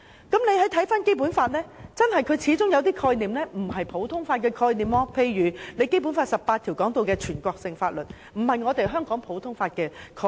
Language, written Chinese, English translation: Cantonese, 《基本法》當中始終有一些概念並非普通法的概念，例如《基本法》第十八條提到的"全國性法律"便並非香港普通法的概念。, Some of the concepts of the Basic Law do not tally with the common law principles . For example the national laws mentioned in Article 18 of the Basic Law is not a common law concept in Hong Kong